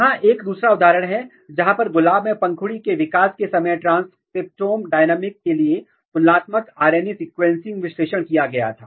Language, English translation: Hindi, This is another example, where comparative RNA sequencing analysis was done for transcriptome dynamics during petal development in in Rose